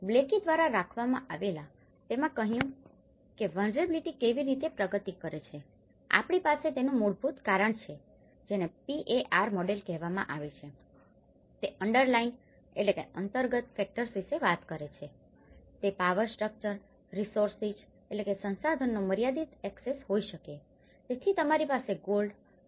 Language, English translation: Gujarati, Proposed by Blaikie and it says how the vulnerability progresses we have the root causes it is called the PAR model, it talks about the underlying factors, it could be the limited access to power structures, resources, so you have the gold reserves, it doesn’t mean you are rich nation